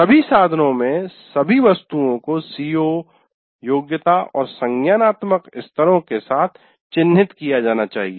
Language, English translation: Hindi, The all items in all instruments should be tagged with COs, competency and cognitive levels